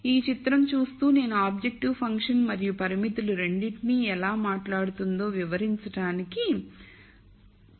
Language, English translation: Telugu, So, I am just trying to see and explain how this picture speaks to both the objective function and the constraints